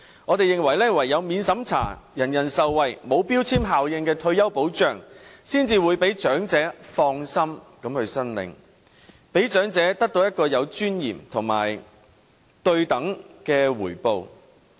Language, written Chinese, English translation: Cantonese, 我們認為唯有免審查，人人受惠，沒有標籤效應的退休保障才可讓長者放心申領，讓長者得到有尊嚴和對等的回報。, I think the only way to let the elderly feel relieved in applying for retirement allowance is to ensure that retirement protection is provided in a non - means - tested and universal manner so that the elderly may enjoy commensurable reward and dignity